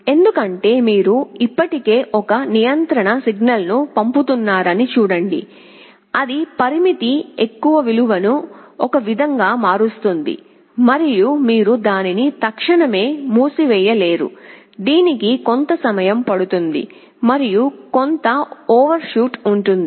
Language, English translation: Telugu, Because, see you are still sending a control signal that will change the value of the parameter in one way and you cannot instantaneously shut it off, it will take some time for it and there will be some overshoot